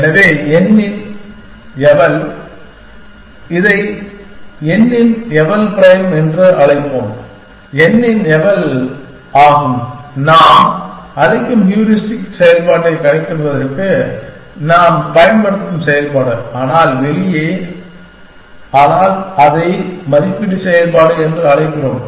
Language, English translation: Tamil, So, eval of n, let us call it eval prime of n is eval of n, which is the function that we are using to compute the heuristic function that we were calling, but the out, but we are calling it evaluation function